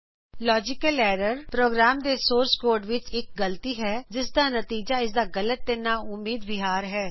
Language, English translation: Punjabi, Logical error is a mistake in a programs source code that results in incorrect or unexpected behavior